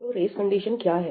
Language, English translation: Hindi, So, what is a race condition